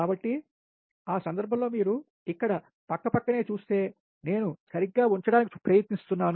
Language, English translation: Telugu, so in that case, ah, that, if you see here, just side by side, i am trying to put right